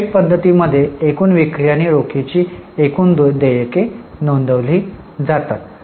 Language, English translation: Marathi, In the direct method, gross sales and gross payments of cash are reported